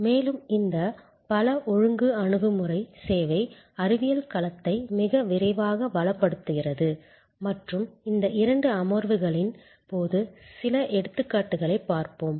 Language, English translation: Tamil, And this multi disciplinary approach is enriching the service science domain very rapidly and we will see some examples during these two sessions